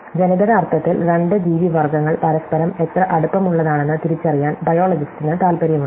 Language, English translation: Malayalam, So, biologists are interested in identifying, how close two species are each other in the genetic sense